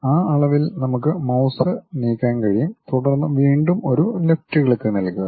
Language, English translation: Malayalam, Along that dimension we can just move our mouse, then again give left click